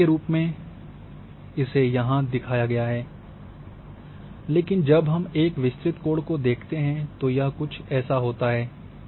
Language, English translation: Hindi, Here as example shown here, but when we go for a wide angle this is how it is happen